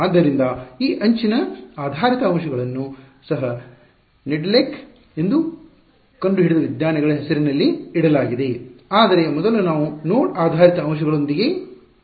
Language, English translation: Kannada, So, this edge based elements also are they are named after the scientist who discovered it Nedelec ok, but first we will start with node based elements